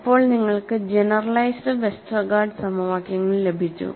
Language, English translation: Malayalam, He added capital Y; then you got the generalized Westergaard equations